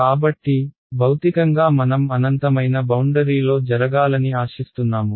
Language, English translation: Telugu, So, what we physically expect to happen on the boundary s infinity